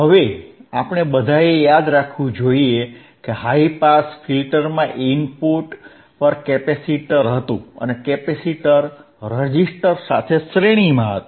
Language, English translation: Gujarati, Now, we all remember, right, we should all remember that in high pass filter, there was capacitor at the input, and then capacitor was in series with a resistor